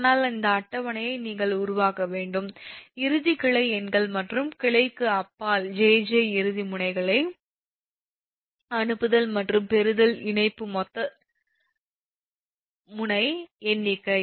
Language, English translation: Tamil, but this table you have to make the connectivity connectivity sending in branch numbers, sending and receiving in nodes beyond branch jj and total number of node count